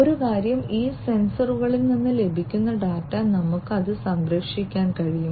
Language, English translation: Malayalam, So, one thing is that the data that is received from these sensors, we can we have to protect it